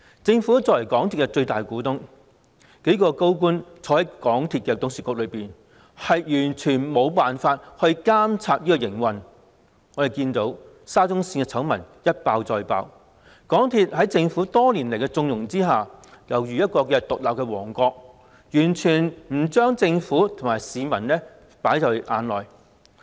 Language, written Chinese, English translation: Cantonese, 政府作為港鐵公司的最大股東，數名高官參與港鐵董事局，卻完全無法監察港鐵的營運，沙中綫醜聞一爆再爆，港鐵公司在政府多年來縱容之下尤如獨立王國，完全不把政府和市民放在眼內。, The Government is the biggest shareholder of MTRCL with several senior officials sitting on the Board of MTRCL and yet it cannot in the least monitor the operation of MTRCL . The scandals surrounding the Shatin to Central Link have been exposed one after another . Nestled under the Governments connivance over the years MTRCL has become an independent kingdom completely paying no regard to the Government and the public